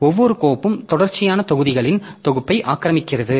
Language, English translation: Tamil, So, the file, each file occupies a set of contiguous blocks